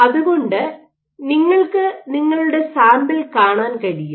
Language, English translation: Malayalam, So, you can watch your sample